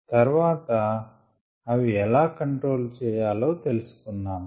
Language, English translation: Telugu, then we said how they could be controlled